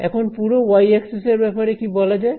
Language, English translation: Bengali, What about the entire x axis sorry the entire y axis